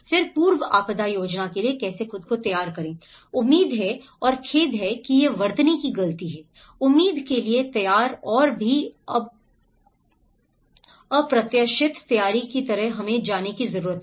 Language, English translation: Hindi, Then pre disaster planning, prepare for the expected and sorry this is spelling mistake here, prepare for the expected and also the unexpected, so that is kind of preparation we need to go